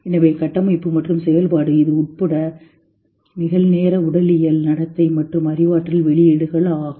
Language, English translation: Tamil, Fun, structure and function including its real time physiological behavioral and cognitive output